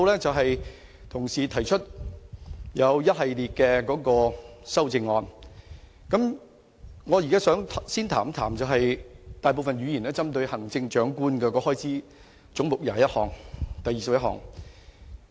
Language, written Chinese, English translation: Cantonese, 就同事現時提出一系列的修正案，我現在想先談談大部分議員也針對的行政長官的開支總目21。, Regarding the series of amendments proposed by my colleagues I first want to discuss the target of most Members head 21 about the expenditure of the Chief Executives Office